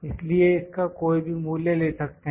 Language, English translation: Hindi, So, we can take any value of that